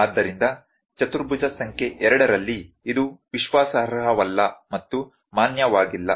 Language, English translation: Kannada, So, in quadrant number 2, it is unreliable and un valid